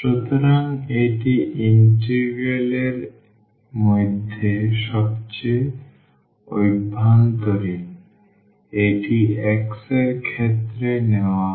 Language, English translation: Bengali, So, this is the inner most inner one into integral this is taken with respect to x